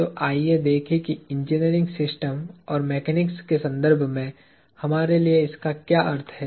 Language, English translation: Hindi, So, let us look at what this means for us in the context of engineering systems and mechanics